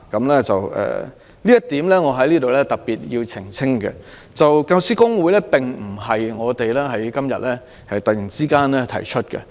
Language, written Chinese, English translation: Cantonese, 關於這一點，我在此要特別澄清，教師公會並不是我們今天突然提議成立的。, On this point I would like to clarify in particular that the establishment of a General Teaching Council is not proposed suddenly today